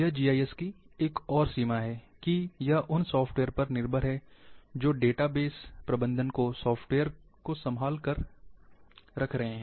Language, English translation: Hindi, That is another limitation of GIS, that it is dependent on the software, which are handling the database management software’s